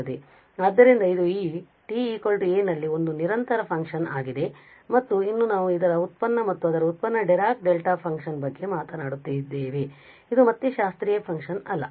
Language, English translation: Kannada, So, this is a discontinuous function at this t is equal to a and still we are talking about its derivative and its derivative is Dirac Delta function which again not a classical function